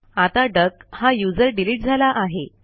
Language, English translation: Marathi, Now the user duck has been deleted